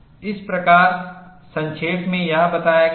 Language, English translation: Hindi, That is what is summarized here